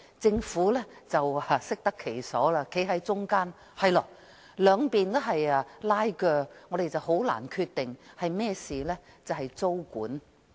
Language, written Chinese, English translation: Cantonese, 政府適得其所站在中間，指由於兩方正在拉鋸，因此難以作出決定。, Sitting comfortably on the fence the Government has claimed that the tug of war between the two sides has made it difficult to make a decision